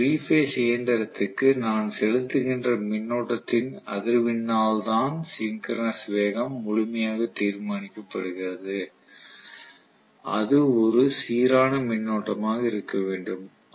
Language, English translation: Tamil, So the synchronous speed is fully determent by the frequency of the current that I am injecting to my 3 phase machine and it has to be a balanced current